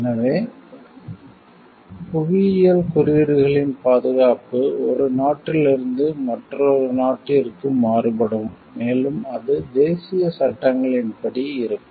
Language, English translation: Tamil, So, protection of geographical indications may vary from country one country to another, and it is in accordance with the national laws